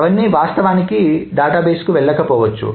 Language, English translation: Telugu, Not all of them may have actually gone to the database